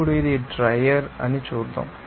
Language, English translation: Telugu, Now, let us see that this is your dryer